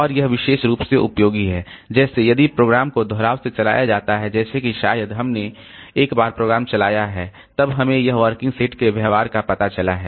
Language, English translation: Hindi, And this is particularly useful like if the program is run repetitively, like maybe we have run the program once and then we have found out this working set behavior